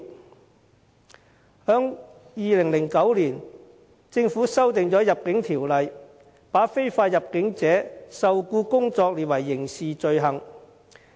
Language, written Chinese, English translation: Cantonese, 政府在2009年修訂《入境條例》，把非法入境者受僱工作列為刑事罪行。, In 2009 the Government amended the Immigration Ordinance to criminalize the employment of illegal entrants